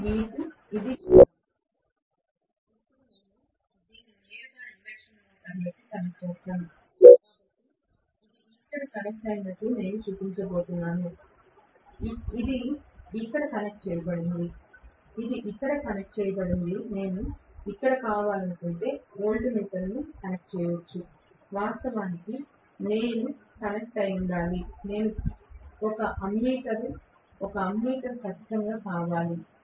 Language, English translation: Telugu, Now, I will connect this directly to the induction motor, so I am going to show as though this is connected here, this is connected here this is connected here I can connect a voltmeter if I want here, of course, I should have connected an ammeter which I missed, of course, ammeter should come definitely